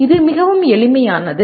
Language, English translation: Tamil, It can be very simple